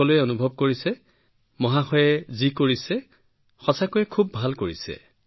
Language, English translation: Assamese, Everyone is feeling that what Sir has done, he has done very well